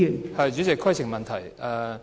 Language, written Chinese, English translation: Cantonese, 代理主席，規程問題。, Deputy President point of order